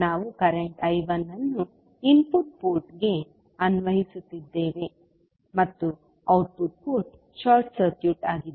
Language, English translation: Kannada, We are applying current I 1 to the input port and output port is short circuited